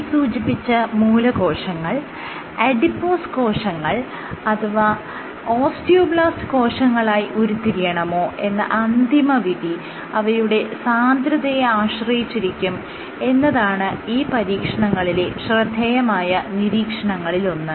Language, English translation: Malayalam, So, now one of the striking observations in these experiments is that the decision to differentiate into an adipose cell versus an osteoblast is often dependent on the “Cell Density”